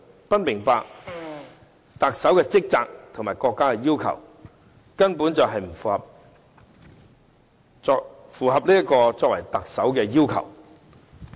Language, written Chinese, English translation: Cantonese, 不明白特首的職責和國家要求，根本不符合作為特首的要求。, Without understanding the duties as the Chief Executive and the demands of the Central Authorities one is not qualified for the post